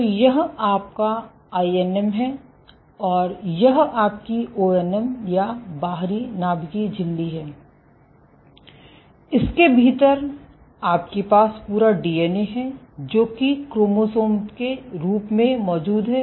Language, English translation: Hindi, So, this is your INM, and this is your ONM or outer nuclear membrane and within this you have the entire DNA, it is present as chromosomes